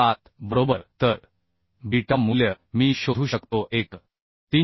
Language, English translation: Marathi, 307 right So beta value I can find out 1